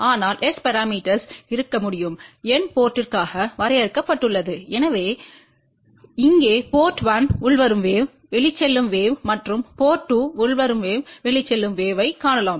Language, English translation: Tamil, But S parameters can be defined for N port so we can see here port 1 incoming wave outgoing wave then port 2 incoming wave outgoing wave